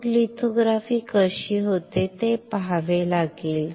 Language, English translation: Marathi, Then we have to see how the lithography is done